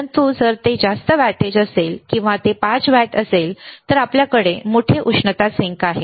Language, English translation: Marathi, But if it is a higher wattage or it is 5 watt, then we have a bigger heat sink